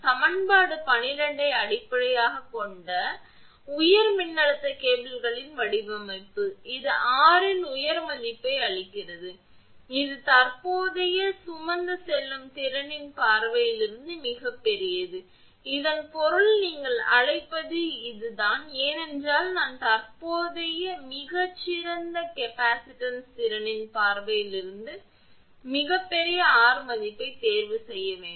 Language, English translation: Tamil, The design of high voltage cables based on equation 12, this one gives a high value of r which much too much too large from the point of view of current carrying capacity; that means, this your what you call that for I have to choose very high value of r that is much too large from the point of view of current carrying capacity